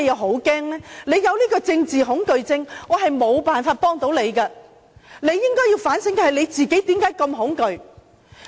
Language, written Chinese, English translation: Cantonese, 他有政治恐懼症，我沒有辦法幫他，他應該反省為何自己那麼恐懼。, He explains that he is phobic to politics . I cannot help him to cure his problem . He should rethink why he is so scared